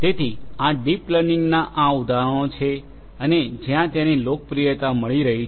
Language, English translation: Gujarati, So, these are some of these examples of deep learning and where it is finding popularity